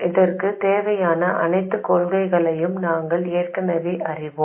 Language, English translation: Tamil, We already know all the principles we need for this